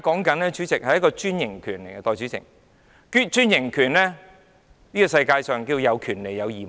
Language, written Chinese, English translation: Cantonese, 代理主席，我們現在討論的是專營權，這個世界有權利便有義務。, Deputy President we are talking about the franchise system . In this world rights are accompanied by obligations